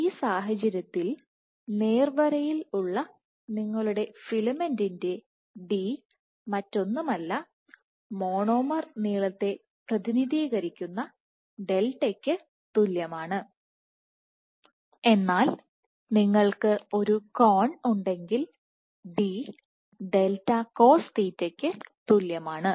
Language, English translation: Malayalam, So, for this case of a straight filament let us say your d is nothing, but equal to delta where the delta represents the monomer length, but if you have at an angle, then d is equal to delta cosθ